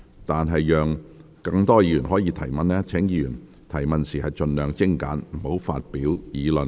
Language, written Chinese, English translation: Cantonese, 為讓更多議員提問，請議員提問時盡量精簡，不要發表議論。, To allow more Members to ask questions questions raised by Members should be as concise as possible . Members should not make arguments when asking questions